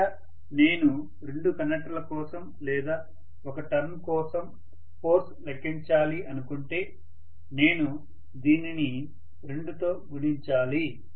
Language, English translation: Telugu, This is what is the force per conductor if I want rather force for two conductors or one turn I have to multiply this by 2,right